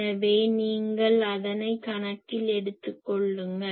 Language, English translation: Tamil, So, that you take into account